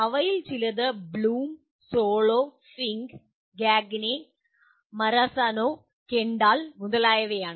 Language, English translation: Malayalam, Some of them are Bloom, SOLO, Fink, Gagne, Marazano, and Kendall etc